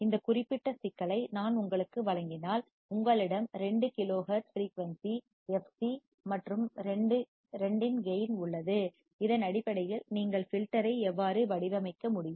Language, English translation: Tamil, If I gave you this particular problem that you have a cut off frequency fc of 2 kilohertz and gain of 2, based on that how you can design the filter